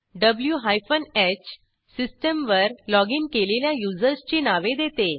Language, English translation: Marathi, w hyphen h gives users logged onto system